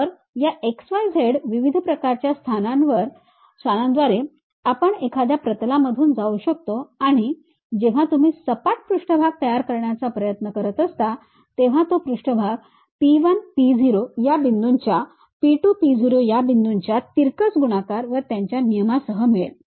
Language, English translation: Marathi, So, through these x, y, z different kind of locations we can pass a plane and the surface normal when you are trying to construct it will be given in terms of your P 1, P0 points cross product with P 2, P0 points and their norms